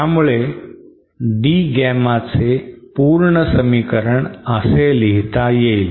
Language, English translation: Marathi, So then my complete expression for D Gamma becomes this